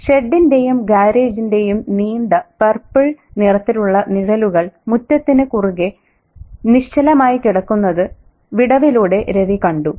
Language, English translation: Malayalam, Through the crack, Ravi saw the long purple shadows of the shed and garage lying still across the yard